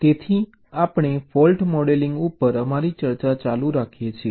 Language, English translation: Gujarati, so we continue with our discussion on fault modeling